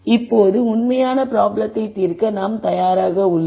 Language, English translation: Tamil, Now we are ready to solve the actual problem